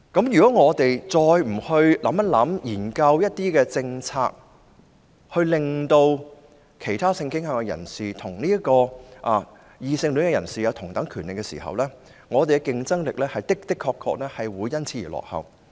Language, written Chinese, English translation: Cantonese, 如果政府再不研究一些政策，讓其他性傾向人士與異性戀人士享有同等權利，那麼香港的競爭力的確會因此而落後。, If the Government still does not conduct any policy studies to enable people with different sexual orientations to enjoy the same rights as heterosexual people Hong Kong will surely lag behind others in competitiveness as a result